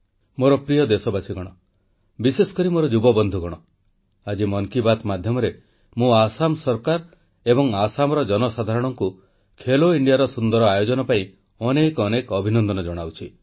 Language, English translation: Odia, My dear countrymen and especially all my young friends, today, through the forum of 'Mann Ki Baat', I congratulate the Government and the people of Assam for being the excellent hosts of 'Khelo India'